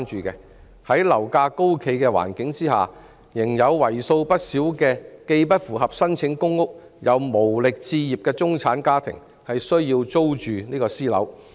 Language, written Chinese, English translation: Cantonese, 在樓價高企的環境下，仍有為數不少既不符合資格申請公屋、又無力置業的中產家庭需要租住私樓。, In the face of high property prices there are still many middle - class families which are neither qualified for applying public housing nor capable of acquiring properties